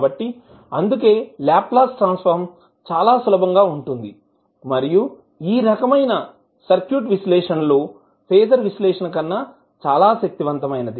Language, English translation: Telugu, So that is why the Laplace transform is more easier and more powerful than the phasor analysis in solving these type of circuits